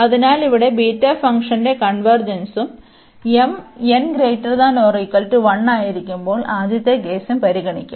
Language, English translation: Malayalam, So, here the convergence of the beta function and we will consider the first case when m and n both are greater than or equal to 1